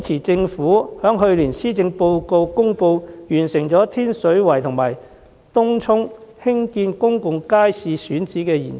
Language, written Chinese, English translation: Cantonese, 政府在去年的施政報告中公布，已完成天水圍及東涌興建公眾街市的選址研究。, In the Policy Address last year the Government announced that the studies on site selection for the construction of public markets in Tin Shui Wai and Tung Chung had been completed